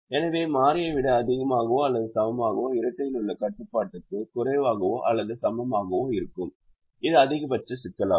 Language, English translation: Tamil, so greater than or equal to variable will result in the corresponding less than or equal to constraint in the dual which is the maximization problem